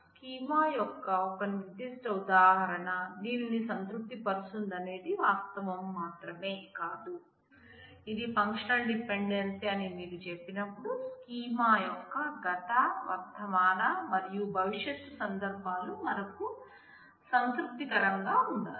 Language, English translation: Telugu, It is not just the fact that a particular instance of a schema satisfies this, but when you say this is a functional dependency, we need all possible past, present and future instances of the schema must satisfy this